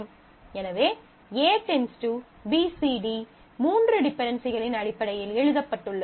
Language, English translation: Tamil, So, A implies determines BCD is written in terms of three dependencies